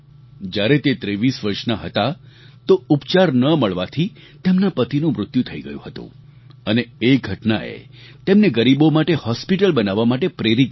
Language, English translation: Gujarati, At the age of 23 she lost her husband due to lack of proper treatment, and this incident inspired her to build a hospital for the poor